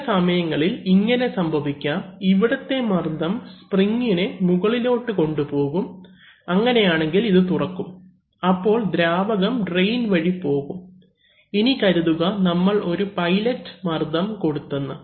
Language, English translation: Malayalam, So, now if sometimes it may happen that the pressure here may move the spring up, in which case this will be, this will open this will, suppose the fluid may pass out from in this way through the drain, in other cases now suppose you apply a, suppose we apply a pilot pressure